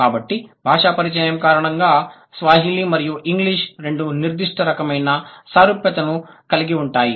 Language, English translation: Telugu, So, because of the Sanskrit, because of the language contact, both Swahili and English will have certain kind of similarity